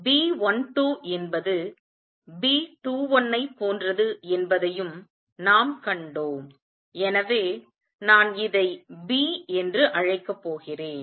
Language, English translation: Tamil, And we also saw that B 12 was same as B 21 so I am going to call this B